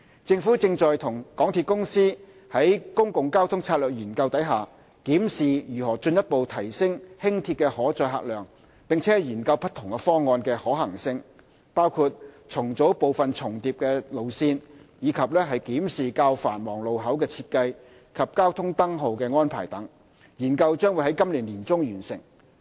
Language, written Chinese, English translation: Cantonese, 政府正與港鐵公司於《公共交通策略研究》中檢視如何進一步提升輕鐵的可載客量，並研究不同方案的可行性，包括重組部分重疊路線，以及檢視較繁忙路口的設計及交通燈號安排等，研究將於今年年中完成。, The Government and MTRCL are reviewing how the carrying capacity of Light Rail can be further enhanced under the Public Transport Strategy Study PTSS . The feasibility of various proposals including rationalizing part of the overlapping Light Rail routes and reviewing the design of and traffic light arrangements at busier junctions is being examined . PTSS will be completed in mid - year